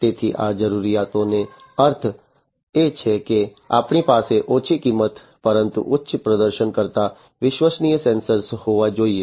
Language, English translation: Gujarati, So, what is meant by these requirement is that we need to have low cost, but higher performing reliable sensors